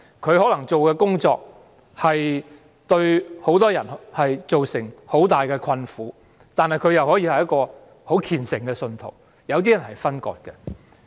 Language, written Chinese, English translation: Cantonese, 例如，他的工作職責可能會對很多人造成極大困苦，但他同時亦是虔誠的信徒。, For example his job duties may bring great hardship to many people but he is also a devout believer